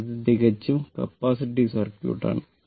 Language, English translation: Malayalam, So, this is a purely capacitive circuit